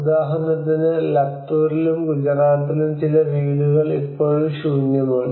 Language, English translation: Malayalam, So for instance in Latur and Gujarat we can see even some of the houses still or empty unoccupied